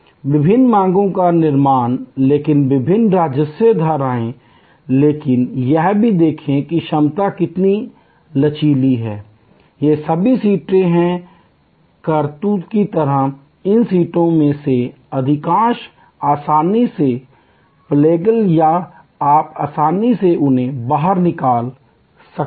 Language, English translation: Hindi, Creating different demands streams, but different revenue streams, but look at how the capacity also is flexible, these seats are all like cartridges, most of these seats are readily pluggable or you can easily pull them out